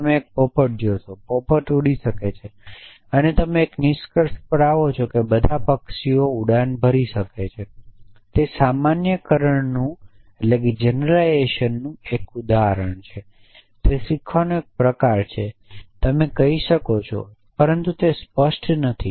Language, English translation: Gujarati, You see a parrot; parrot can fly and you come to a conclusion that all birds can fly this is a form of generalization is a form of learning you might say, but it is not infallible